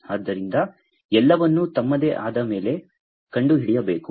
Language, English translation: Kannada, So, everything has to be detected on their own